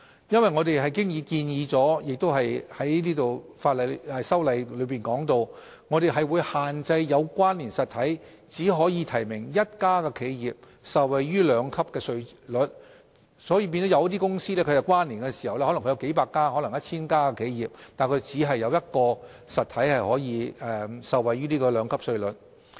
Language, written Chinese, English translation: Cantonese, 因為我們已在修例中建議並提及會限制"有關連實體"只可提名一家企業受惠於兩級稅率，有些可能有數百或 1,000 家企業的有關連公司便因而只有當中一個實體可以受惠於此兩級稅率。, As we have proposed in the legislation to restrict the application of the two - tiered rates to only one enterprise nominated among connected entities only one entity among hundreds of or 1 000 connected companies will be able to benefit from the two - tiered rates